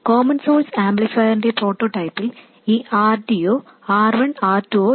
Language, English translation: Malayalam, Remember in the prototype common source amplifier neither this RD nor this R1 and R2 are there